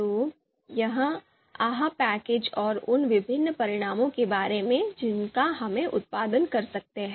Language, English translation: Hindi, Now, so this is this is about the AHP package and the different results that we can produce